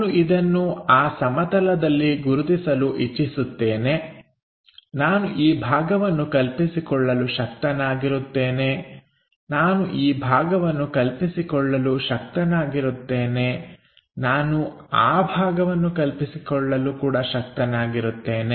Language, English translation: Kannada, I would like to identify this on that plane, I will be in a position to visualize this part, I will be in a position to visualize this part, I will be in a position to visualize that part, I will be in a position to visualize that part, some other parts I can not really visualize